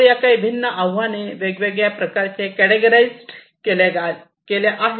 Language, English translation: Marathi, So, these are some of these different challenges categorized in different ways